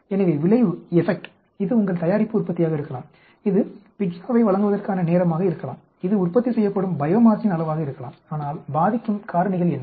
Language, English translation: Tamil, So effect, this could be your product yield, this could be the time taken to deliver a pizza, this could be amount of bio mass produced but what are the factors that effect